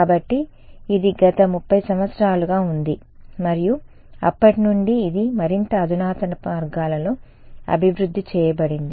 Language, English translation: Telugu, So, its last 30 years that it has been and since then that has been developed more and more in a sophisticated ways ok